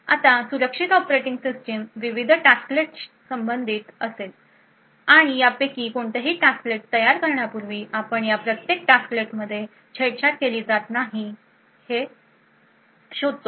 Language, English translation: Marathi, Now the secure operating system would correspond various tasklets and before spawning any of this tasklet is would as we seen before identify that each of this tasklet have not being tampered with